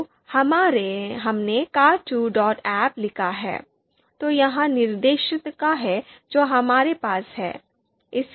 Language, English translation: Hindi, So we have written car two dot ahp, so this is the directory that we have